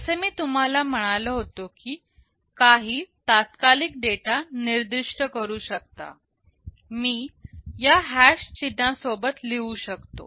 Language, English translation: Marathi, Like as I said you can specify some immediate data, I can write like this with this hash symbol